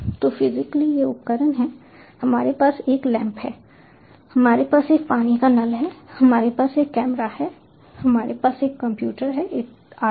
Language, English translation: Hindi, so, physically, these are the devices: we have a lamp, we have an water tap, we have a camera, we have a computer and so on